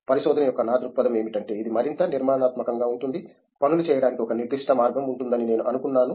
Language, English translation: Telugu, My perspective of research was that it could be more structured; I thought there would be a certain way of doing things